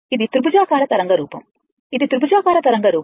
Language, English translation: Telugu, So, it is a symmetrical waveform this is a triangular wave form this is a triangular wave form